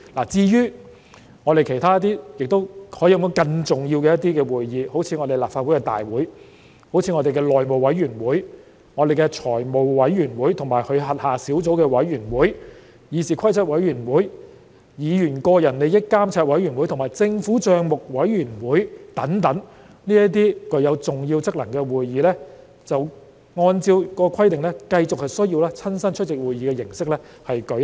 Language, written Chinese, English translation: Cantonese, 至於其他可說是更重要的會議，好像立法會大會、內務委員會、財務委員會及其轄下小組委員會、議事規則委員會、議員個人利益監察委員會和政府帳目委員會等，這些具有重要職能的會議，按照該規定，則繼續需要以親身出席會議的形式舉行。, Meetings of the Legislative Council the House Committee the Financial Committee and its subcommittees the Committee on Rules of Procedure the Committee on Members Interests and the Public Accounts Committee which serve important functions still require physical attendance according to the above provision